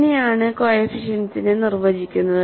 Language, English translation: Malayalam, And how the coefficients are defined